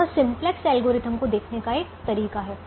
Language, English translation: Hindi, that is one way of looking at the simplex algorithm